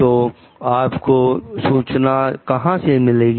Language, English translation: Hindi, So, how you got that information